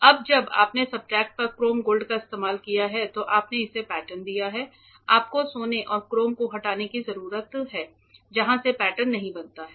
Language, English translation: Hindi, Now that we have used chrome gold on the substrate you have patterned it you need to remove the gold and chrome from where the pattern is not formed right